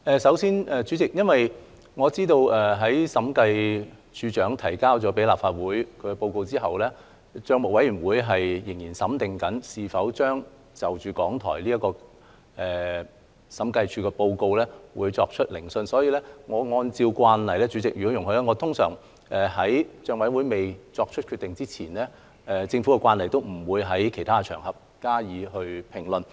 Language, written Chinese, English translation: Cantonese, 首先，我知道審計署署長向立法會提交審計署署長報告後，帳委會仍在研究是否就審計署署長報告中港台這部分作出聆訊，所以若主席容許，我會按照政府慣例，在帳委會尚未作出決定前，不在其他場合加以評論。, First of all I know that since the Director of Audit submitted the Audit Report to the Legislative Council PAC has been considering whether to conduct hearings on this part of the Audit Report concerning RTHK . Therefore subject to Presidents permission and in accordance with the practice of the Government I will not make comments on other occasions before PAC has made a decision